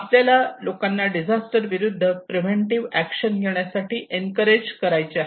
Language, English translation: Marathi, We want to encourage people to take preventive action against disaster